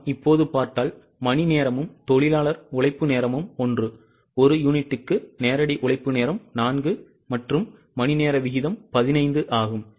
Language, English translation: Tamil, If we go here you can see that the hour rate is same, direct labour hour per unit is 4 and hourly rate is 15